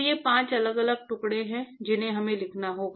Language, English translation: Hindi, So, these are the five different pieces that we have to write